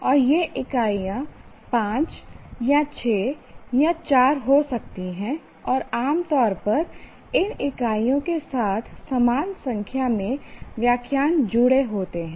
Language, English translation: Hindi, And these units could be five or six sometimes even four and generally the same number of lectures are associated with these units